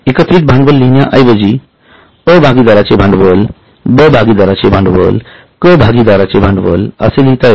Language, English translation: Marathi, Instead of writing total capital, we will say A's capital, B's capital, C's capital